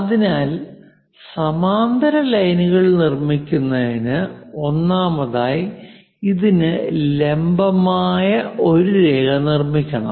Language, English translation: Malayalam, So, to construct parallel lines, first of all, we have to construct a perpendicular line to this